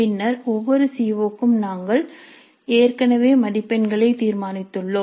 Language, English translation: Tamil, Then for each COO we already have determined the marks